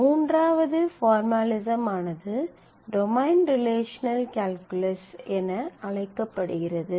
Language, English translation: Tamil, A third formalism that exists that is used is known as domain relational calculus